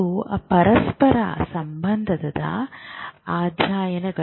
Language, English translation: Kannada, So, these are co relational studies